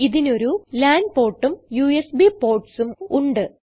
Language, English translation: Malayalam, It also has a lan port and USB ports